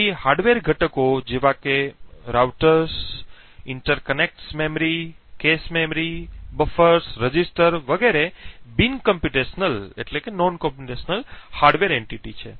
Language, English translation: Gujarati, So, hardware components such as routers, interconnects memory, cache memories, buffers, registers and so on are non computational hardware entities